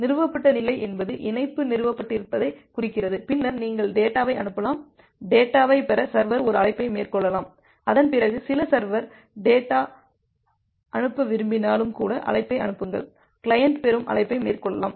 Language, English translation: Tamil, Established state means the connection has established then you can send the data, make a send call to send the data, the server can make a receive call to receive the data even if after that the some server wants to send the data server can make a send call and the client can make a receive call